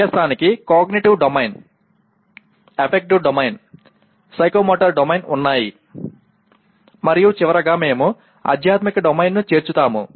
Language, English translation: Telugu, Learning has domains including Cognitive Domain, Affective Domain, Psychomotor Domain and for completion we will include Spiritual Domain